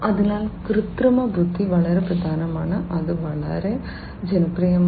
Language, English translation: Malayalam, So, artificial intelligence is very important, it has become very popular